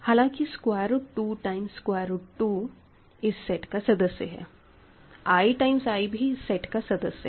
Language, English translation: Hindi, Whereas, root 2 times root 2 is also is again in this set; i times i is again in this sets